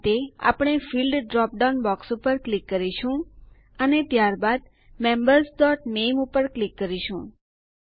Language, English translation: Gujarati, For this, we will click on the Fields drop down box and then click on Members.Name